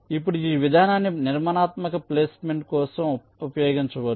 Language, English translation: Telugu, now this approach can be used for constructive placement